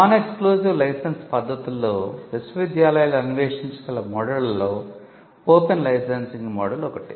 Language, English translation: Telugu, In the non exclusive licenses one of the models that universities can explore is the open licensing model